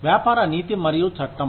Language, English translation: Telugu, Business ethics and the law